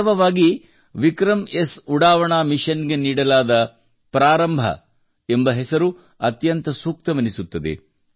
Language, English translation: Kannada, Surely, the name 'Prarambh' given to the launch mission of 'VikramS', suits it perfectly